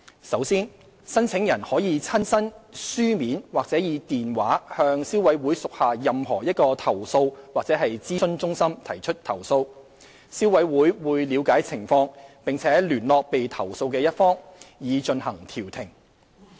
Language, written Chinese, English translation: Cantonese, 首先，申請人可以親身、書面或以電話向消委會屬下任何一個投訴及諮詢中心提出投訴，消委會會了解情況，並聯絡被投訴的一方，以進行調停。, An applicant may first lodge a complaint at one of the Complaints and Advice Centres of the Consumer Council in person in writing or by telephone . The Consumer Council would ascertain the facts of the case contact the party being complained against and try to resolve the dispute through conciliation